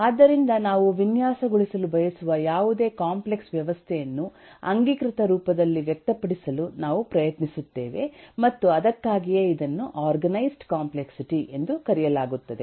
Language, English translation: Kannada, so any complex system we want to design, we will try to express that in this canonical form and that’s why it’s called organized complexity